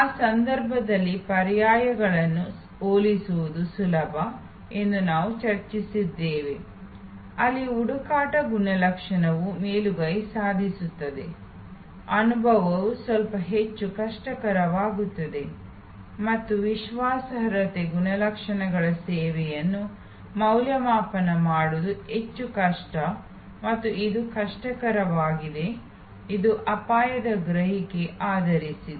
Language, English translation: Kannada, And we have discussed that it is easier to compare the alternatives in those cases, where search attribute dominates, experience is the little bit more difficult and credence attribute services are more difficult to evaluate and this easy to difficult, this is also based on risk perception